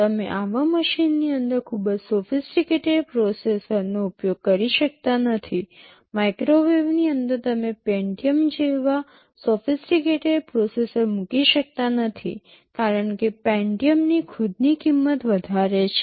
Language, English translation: Gujarati, You cannot afford to use a very sophisticated processor inside such a machine; like inside a microwave you cannot afford to put a sophisticated processor like the Pentium, because the cost of the Pentium itself is pretty high